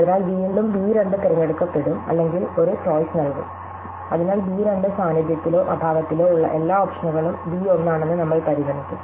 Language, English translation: Malayalam, So, again b 2 will be chosen or given a chance, therefore b 2 we will consider all options in the presence or absence are b 1